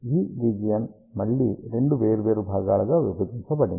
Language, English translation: Telugu, This region again is divided into two different component